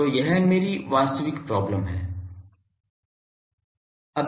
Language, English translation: Hindi, So, this is my actual problem